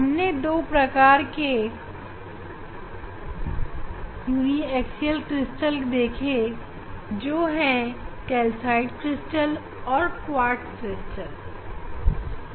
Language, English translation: Hindi, we have seen these two types of uniaxial crystal, calcite crystal and quartz crystal